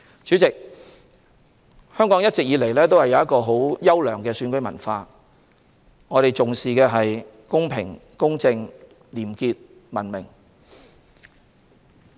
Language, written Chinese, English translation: Cantonese, 主席，香港一直以來有優良的選舉文化，我們重視公平、公正、廉潔和文明。, President Hong Kong has always had a good election culture and we attach importance to having a fair just corruption - free and civilized election